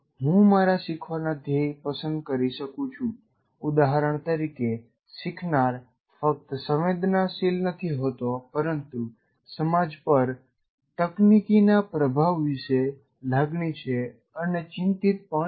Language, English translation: Gujarati, For example, one of the learning goals, the learner will have to have not merely sensitization, should have a feel for or be concerned about the influence of technology and society